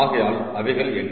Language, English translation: Tamil, so what are those